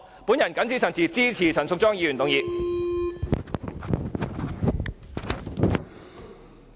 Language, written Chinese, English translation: Cantonese, 我謹此陳辭，支持陳淑莊議員的議案。, With these remarks support the motion of Ms Tanya CHAN